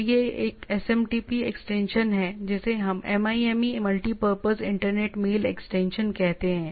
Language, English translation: Hindi, So that is a SMTP extension what we say MIME multipurpose internet mail extension